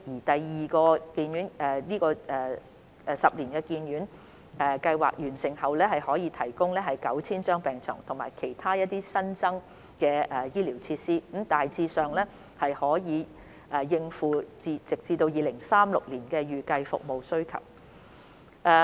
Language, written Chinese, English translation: Cantonese, 第二個十年醫院發展計劃完成後，可額外提供逾 9,000 張病床及其他新增醫療設施，大致上足以應付直至2036年的預計服務需求。, Upon completion of the Second Ten - year HDP there will be a planned capacity of over 9 000 additional beds and other additional hospital facilities that will be basically meeting the projected service demand up to 2036